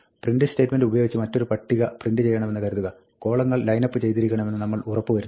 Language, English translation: Malayalam, Supposing, we want to print out a table using a print statement, we want to make sure that the columns line up